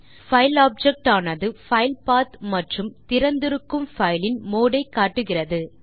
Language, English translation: Tamil, The file object shows the filepath and mode of the file which is open